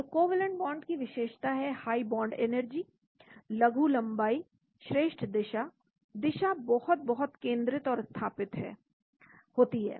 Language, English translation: Hindi, So covalent bonds are characterized by high bond energies, short distance high direction, the direction is very, very focused and fixed